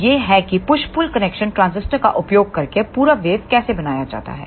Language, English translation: Hindi, So, this is how the complete waveform is made using the push pull connection of complementary transistors